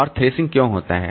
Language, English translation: Hindi, And why does thrashing occur